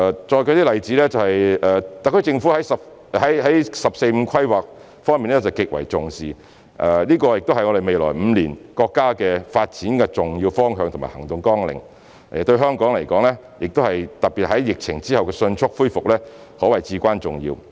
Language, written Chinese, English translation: Cantonese, 再舉一些例子，特區政府對"十四五"規劃極為重視，這也是國家未來5年發展的重要方向和行動綱領，對香港、特別是疫情後的迅速復原可謂至關重要。, Let me cite some more examples . The SAR Government attaches great importance to the National 14 Five - Year Plan which is an important direction and the action plan for our countrys development in the next five years and is also imperative to Hong Kong and especially to its speedy recovery after the epidemic